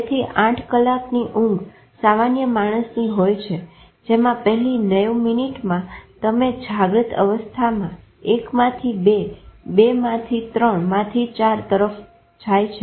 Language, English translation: Gujarati, So in 8 hour sleep of a normal person what happens is that first 90 minutes, you go down from awake to stage 1 to 2 to 3 to 4, right